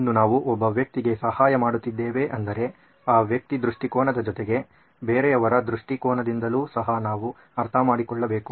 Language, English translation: Kannada, Still we are helping out one person but we need to understand the other person’s perspective also